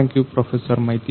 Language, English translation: Kannada, Thank you Professor Maiti